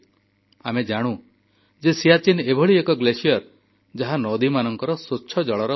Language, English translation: Odia, We all know that Siachen as a glacier is a source of rivers and clean water